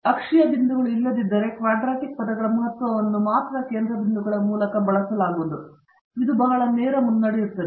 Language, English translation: Kannada, If the axial points were not present, only the sum of the quadratic terms significance could be gaged using the center points, this is pretty straight forward